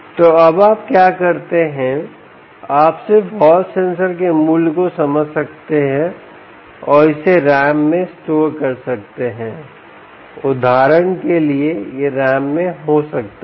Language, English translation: Hindi, so what you do now is you just sense the value of the hall sensor and store it in, perhaps in ram, for instance, for example, it could be in ram, ok